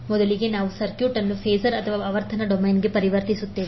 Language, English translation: Kannada, First, what we will do will transform the circuit to the phasor or frequency domain